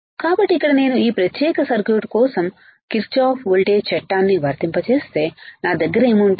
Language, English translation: Telugu, So, here if I apply Kirchhoff voltage law for this particular circuit what will I have